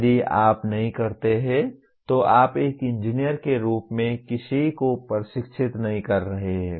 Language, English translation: Hindi, If you do not, you are not training somebody as an engineer